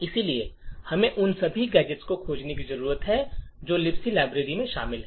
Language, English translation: Hindi, So, we need to find all the gadgets that the libc library contains